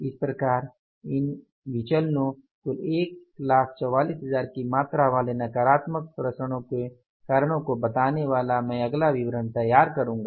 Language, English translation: Hindi, So, that next statement explaining the reasons for these variances, negative variances amounting to total of 144,000 that is the unfavorable variances